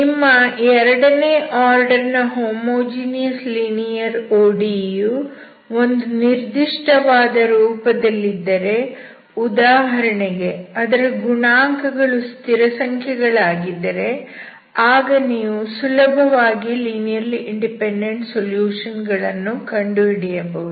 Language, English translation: Kannada, So if your homogeneous linear second order ODE has certain form, for example with constant coefficient you can easily find linearly independent solutions, okay